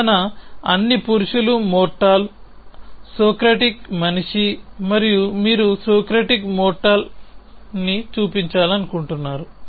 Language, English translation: Telugu, The argument was all men are mortal, Socratic is the man and you want to show that Socratic is mortal